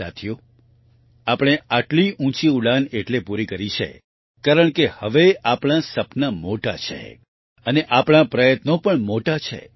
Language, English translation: Gujarati, Friends, we have accomplished such a lofty flight since today our dreams are big and our efforts are also big